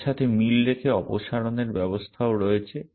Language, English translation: Bengali, Corresponding to this there is also a remove action